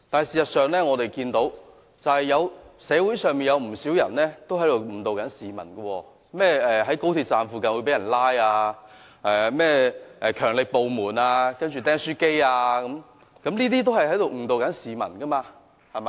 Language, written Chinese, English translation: Cantonese, 事實上，我們看到社會上有不少人正在誤導市民，例如在高鐵站附近會被人拘捕云云、甚麼"強力部門"、"釘書機"案等，均在誤導市民。, In fact there are many people around us trying to deceive others and rumours such as people in the vicinity of XRL stations would be arrested the so - called powerful agencies and the stapler incident and so on are all misleading